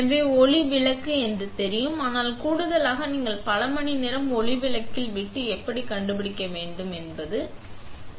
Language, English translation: Tamil, So, you know that the light bulb is on but in addition to that you want to find out how many hours are left on the light bulb